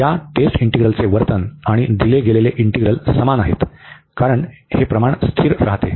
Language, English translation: Marathi, And behavior of this test integral, and the given integral is the same, because this ratio is coming to be constant